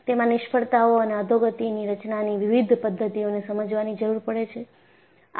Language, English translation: Gujarati, It requires understanding of the different modes of failures and degradation mechanisms